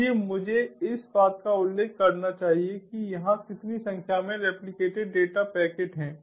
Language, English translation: Hindi, so i i i should mention this over here the number of replicated data packets